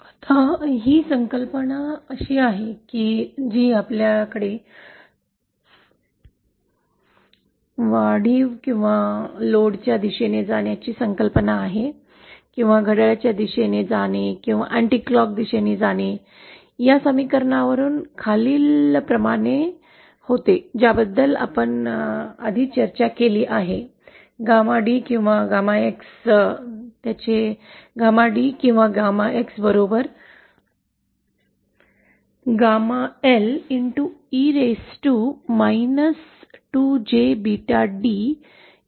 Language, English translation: Marathi, Now this is the concept we had this concept of this increasing or going towards the load, away from the load, going clockwise, anticlockwise this follows from this equation that we had earlier discussed about, the gamma D or X, whether its gamma D or X is equal to gamma L E raise to minus 2 J beta D